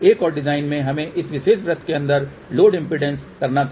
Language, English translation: Hindi, In the another design we had to the load impedance inside this particular circle